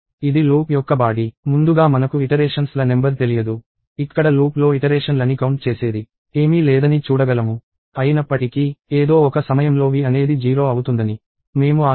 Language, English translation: Telugu, And this body of the loop – upfront we do not know the number of iterations; we can see that, there is nothing, which is doing an iteration count; however, we are hoping that, v will become 0 at some point of time